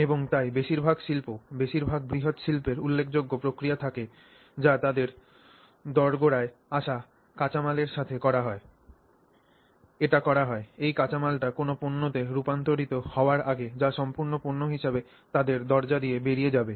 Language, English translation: Bengali, And so, most industries, most large scale industries have significant processing that happens to the raw material that comes into their doorstep before it gets converted to a product that goes out of their doorstep